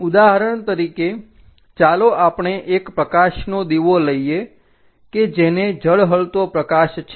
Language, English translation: Gujarati, For example, let us takes a light lamp which is shining light